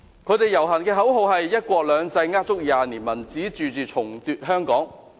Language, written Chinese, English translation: Cantonese, 他們的遊行口號是"一國兩制呃足廿年；民主自治重奪香港"。, The slogan of their march is One country two systems a lie of 20 years; Democratic self - government retake Hong Kong